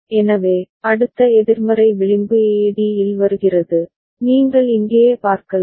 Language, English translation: Tamil, So, next negative edge A comes at d, you can see here right